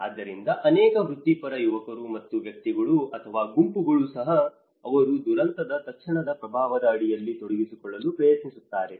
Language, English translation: Kannada, So, many of the professional youngsters and even individuals or even groups they try to get involved under the immediate impact of a disaster